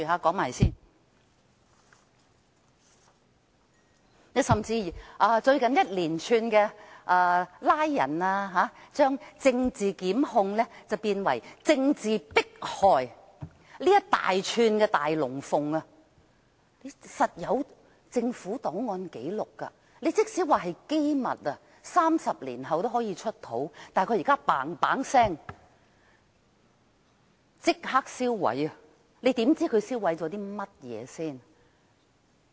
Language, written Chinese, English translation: Cantonese, 更甚的是，最近出現一連串拘捕行動，將政治檢控變為政治迫害，這一大串的"大龍鳳"必定有政府檔案和紀錄，即使是機密 ，30 年後也可以"出土"，但現時政府極速地即時銷毀，我們如何知道它銷毀了甚麼？, What is more the recent spate of arrests has turned political prosecution into political persecution . Concerning this big fuss kicked up by a series of actions there must be relevant government files and records and even though they may be confidential they can still be unearthed 30 years down the line . Yet the Government has expeditiously destroyed them right away